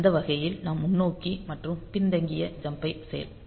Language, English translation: Tamil, So, that way we can do both forward and backward jumps and